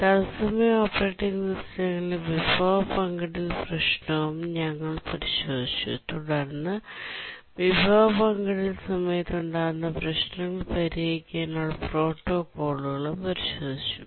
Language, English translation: Malayalam, We had also looked at resource sharing problem in real time operating systems and we had looked at protocols to help solve the problems that arise during resource sharing